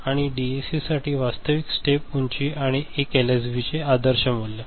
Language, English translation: Marathi, And for DAC the actual step height and ideal value of 1 LSB ok